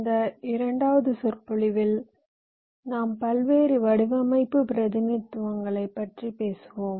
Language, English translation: Tamil, so in this second lecture, the module, we shall be talking about various design representations